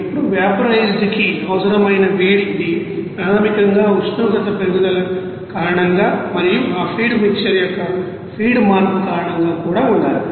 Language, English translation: Telugu, Now heat required for vaporized this basically one should be that due to the raise in temperature and also due to the feed change of that you know feed mixer